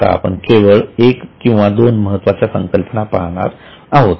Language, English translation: Marathi, Now we will just consider one or two important concepts